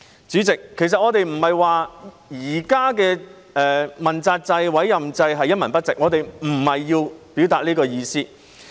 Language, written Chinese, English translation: Cantonese, 主席，其實我們並非說現行的問責制、政治委任制度一文不值，我們並非要表達這意思。, President actually we are not saying that the existing accountability system is worthless . This is not what we mean